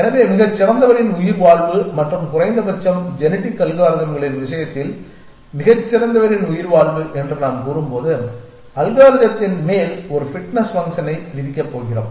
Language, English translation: Tamil, So, survival of the fittest and when we say survival of the fittest at least in the case of genetic algorithms we are going to impose a fitness function on top of the algorithm